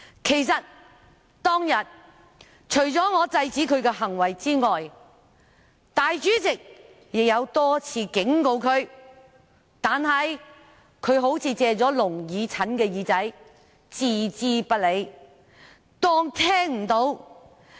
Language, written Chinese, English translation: Cantonese, 其實，當天除了我制止他的行為外，立法會主席亦多次警告他，但他好像"借了聾耳陳的耳朵"般置之不理，裝作聽不到。, In fact apart from me who stopped his behaviour the President also warned him a number of times but he ignored all that by turning a deaf ear